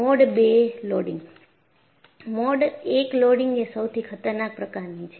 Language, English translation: Gujarati, So, Mode I loading is the most dangerous